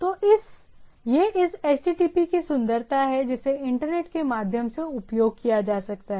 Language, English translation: Hindi, So, that that’s the beauty of this HTTP which can access across the across the over the internet